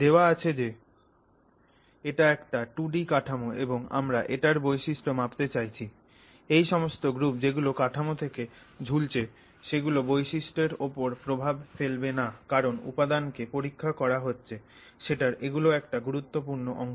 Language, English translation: Bengali, So, now given that it's a two dimensional structure and you are trying to make measurements of properties of it, all these other groups which are hanging hanging out from this structure are going to impact that property because they form a significant fraction of that material that you are testing